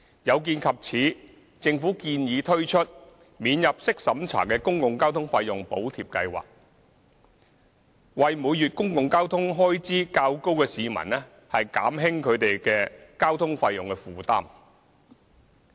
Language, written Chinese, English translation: Cantonese, 有見及此，政府建議推出免入息審查的公共交通費用補貼計劃，為每月公共交通開支較高的市民減輕交通費用負擔。, As such the Government proposes to introduce a non - means tested Public Transport Fare Subsidy Scheme to relieve the fare burden of commuters who have to bear higher monthly public transport expenses